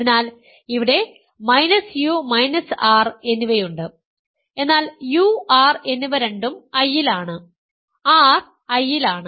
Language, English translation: Malayalam, So, there is minus u minus r, but u and r are both in I, r is in I u is in I